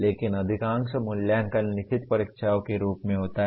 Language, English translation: Hindi, But majority of the assessment is in the form of written examinations